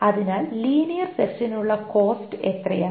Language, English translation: Malayalam, So, what is the cost for linear search